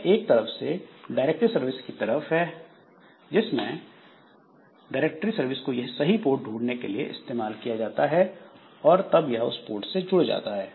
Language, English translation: Hindi, So, there is some sort of directory service and using the directory service is finds out like which port has to be connected and then it connects to that particular port